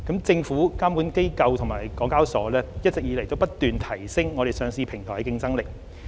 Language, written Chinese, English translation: Cantonese, 政府、監管機構及香港交易及結算所有限公司一直不斷提升我們上市平台的競爭力。, The Government regulatory authorities and the Hong Kong Exchanges and Clearing Limited HKEX have been continuously enhancing the competitiveness of our listing platform